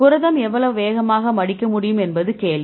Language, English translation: Tamil, So, now the question is how fast your protein can fold